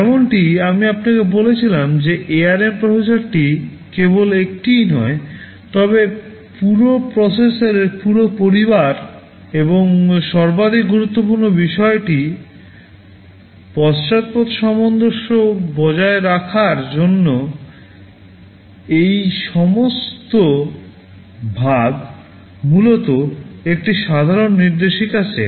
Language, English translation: Bengali, AsNow as I told you this ARM processor is not just one, but a whole family of ARM processors exist and the most important thing is that in order to maintain backward compatibility, which is very important in this kind of evolution all of thisthese share essentially a common instruction set